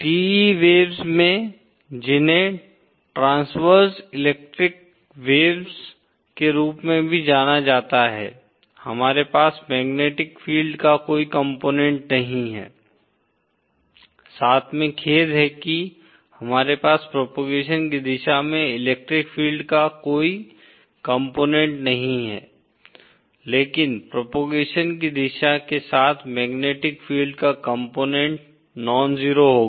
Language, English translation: Hindi, In TE waves which are also known as transverse electric waves, we have no component of the magnetic field along sorry we have no component of the electric field along the direction of propagation but the component of magnetic field along the direction of propagation will be nonzero